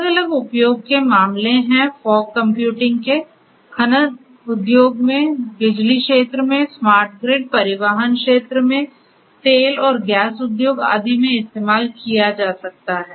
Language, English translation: Hindi, There are different different use cases of use of fog, fog computing could be used in mining industry, in the power sector, smart grid etcetera, in transportation sector, in oil and gas industry and so on